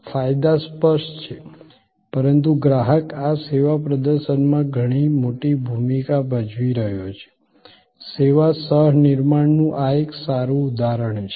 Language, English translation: Gujarati, Advantages are obvious, but the customer is playing the much bigger role in this service performance; this is a good example of service co creation